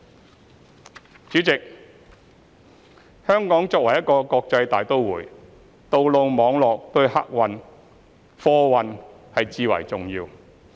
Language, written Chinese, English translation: Cantonese, 代理主席，香港作為一個國際大都會，道路網絡對客貨運輸至為重要。, Deputy President as a cosmopolitan city Hong Kongs road network is vital to the transportation of passengers and goods